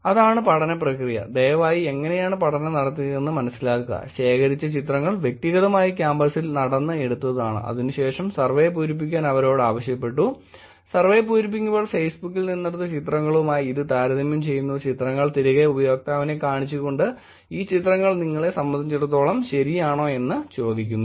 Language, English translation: Malayalam, So, that is the process of the study, please understand how the study was done, collected pictures were taken individually walking in campus, they were asked to fill the survey, while filling the survey the data the system was comparing the pictures on Facebook, pictures were brought back to the survey showed to the user and saying tell us if these pictures are right about you